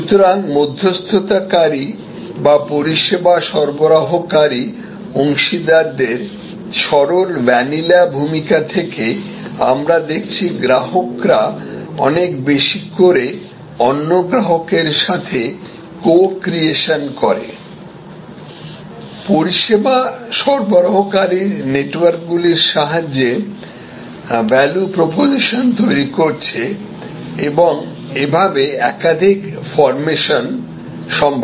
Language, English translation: Bengali, So, from plain vanilla role of intermediaries or service delivery partners, we are increasingly seeing customers co creating with other customers, value propositions by tapping into networks of service providers, there are multiple formations possible